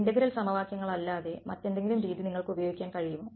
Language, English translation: Malayalam, Can you use any other method other than integral equations